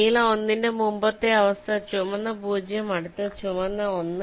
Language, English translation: Malayalam, for blue one, the previous state is red zero, next state is red one